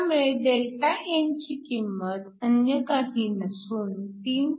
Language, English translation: Marathi, So, Δn is nothing but 3